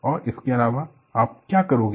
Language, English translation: Hindi, And in addition what do you do